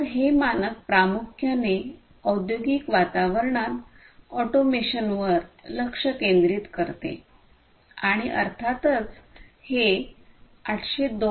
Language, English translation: Marathi, So, this standard primarily focuses on automation in industrial environments and obviously, this standard, it is based on 802